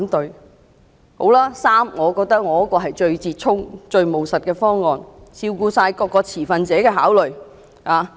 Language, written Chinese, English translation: Cantonese, 那好吧，第三，是我的修正案，我認為是最折衷、最務實的方案，全面照顧各持份者的考慮。, As for the third choice that is my amendment I consider it the greatest compromise and the most pragmatic proposal fully accommodating the concerns of all stakeholders